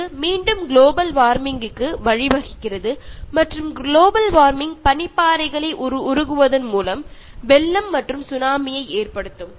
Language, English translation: Tamil, This again leads to Global Warming and Global Warming can cause floods and Tsunamis by making glaciers melt